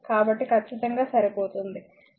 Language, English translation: Telugu, So, it is exactly matching